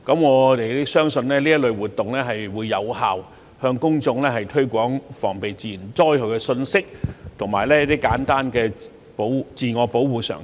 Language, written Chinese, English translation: Cantonese, 我們相信這類活動將有效向公眾推廣防備自然災害的信息及簡單的自我保護常識。, We believe these activities can effectively promote among members of the public the message of guarding against natural disasters and simple knowledge of self - protection